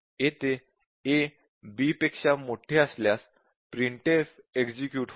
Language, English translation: Marathi, So, here if a greater than b, printf is executed